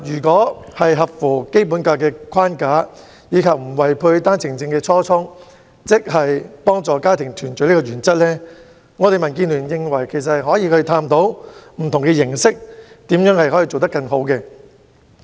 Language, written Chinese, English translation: Cantonese, 在合乎《基本法》框架，以及不違背單程證幫助家庭團聚初衷的原則下，民主建港協進聯盟認為也可以探討以不同的方式推行措施，研究如何能夠做得更好。, Provided that it conforms to the Basic Law framework and does not conflict with the initial OWP objective to facilitate family reunion the Democratic Alliance for the Betterment and Progress of Hong Kong agrees to examine different ways to take forward the measure and explore for better implementation